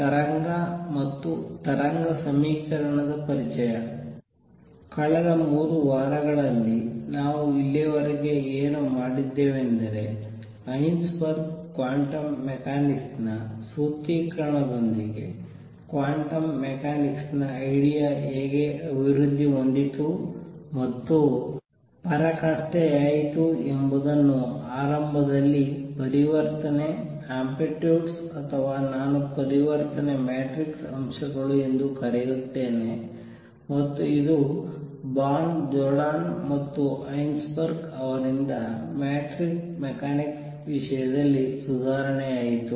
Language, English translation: Kannada, What we have done so far in the past 3 weeks is seen how the quantum mechanics idea developed and culminated with Heisenberg’s formulation of quantum mechanics which initially was written in terms of transition, amplitudes or, what I will also call transition matrix elements and this was reformulated then in terms of matrix mechanics by Born, Jordan and Heisenberg